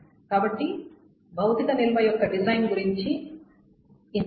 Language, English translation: Telugu, So that is all about this storage of physical design